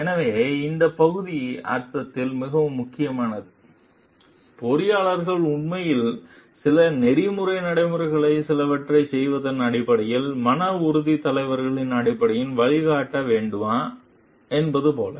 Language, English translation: Tamil, So, the this part is very important in the sense, like if the engineers are really to show the way in terms of morale leaders in terms of doing some as some ethical practices